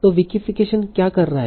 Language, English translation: Hindi, So what is Wikifixen doing